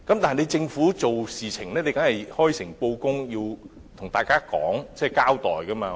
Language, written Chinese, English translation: Cantonese, 然而，政府做事要開誠布公，要向大家交代，不能隱瞞。, But the Government should be frank and open to the public and should not hide information from the people